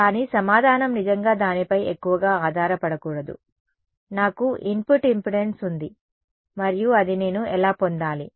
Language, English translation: Telugu, But the answer should not really depend too much on that, I there is input impedance and that should that is what I should get